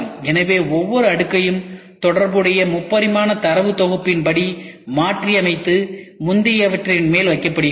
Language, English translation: Tamil, So, each layer is contoured according to the corresponding 3 dimensional data set and put on to the top of the preceding one